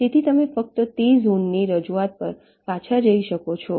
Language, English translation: Gujarati, so you can just go back to that zone representation between